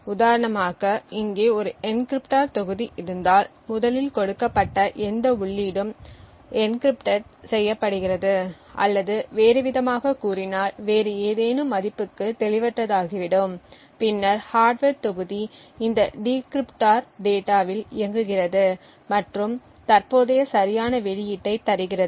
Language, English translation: Tamil, So for example if we have an encryptor module over here any input which is given first get encrypted or in other words gets obfuscates to some other value then the hardware module works on this encrypted data and then there is a decrypted module and obtained a current correct output